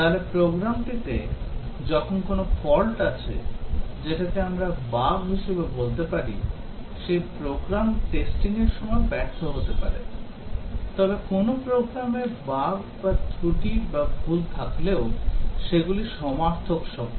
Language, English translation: Bengali, So, when there are faults in the program which we'll also call as defects or bugs a program may fail during testing, but then even if there are bugs or defects or errors in a program those are synonymous terms